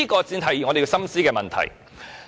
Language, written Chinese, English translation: Cantonese, 這才是我們要深思的問題。, These are questions we need to consider carefully